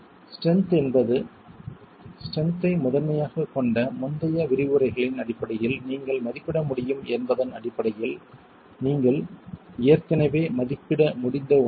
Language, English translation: Tamil, Strength is something you've already been able to estimate based on the, you'll be able to estimate based on the previous lectures which focus primarily on strength